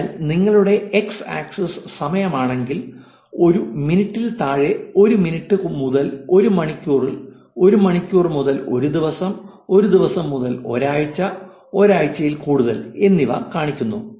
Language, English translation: Malayalam, So, if your x axis is time again less than one minute, one minute to one hour, one hour to one day, one day to one week and greater than 1 week